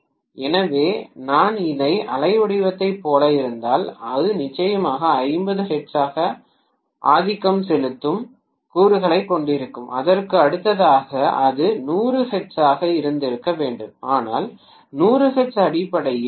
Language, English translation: Tamil, So, if I am looking like at this waveform it will definitely have the dominant component as 50 hertz, next to that it should have been 100 hertz, but 100 hertz essentially is something similar to DC on an average basis it will be 0